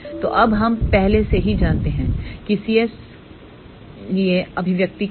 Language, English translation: Hindi, So, now, we already know what is the expression for c s